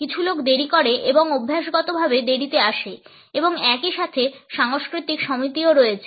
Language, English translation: Bengali, Some people are tardy and habitually late comers and at the same time there are cultural associations also